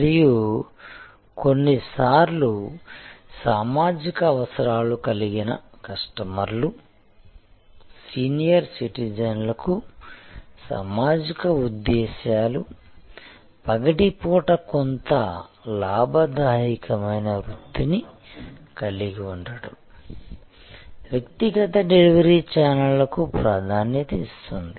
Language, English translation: Telugu, And sometimes customers with social needs, social motives like senior citizens needing to have some gainful occupation during the day would have preferred personal delivery channels